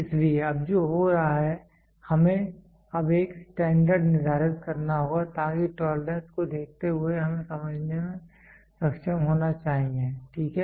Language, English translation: Hindi, So, now what is happening we have to now set a standard, so that by looking at the tolerance we should be able to understand, ok